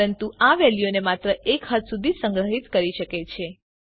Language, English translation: Gujarati, But it can only store values up to a limit